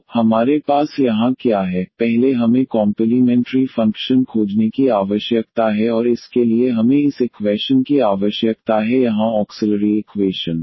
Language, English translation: Hindi, So, what do we have here, first we need to find the complementary function and for that we need this equation here the auxiliary equation